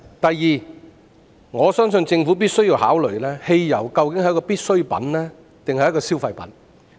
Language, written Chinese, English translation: Cantonese, 第二，我相信政府必須考慮，究竟汽油是必需品還是消費品？, Second I believe the Government must consider whether petrol is a necessity or a consumer good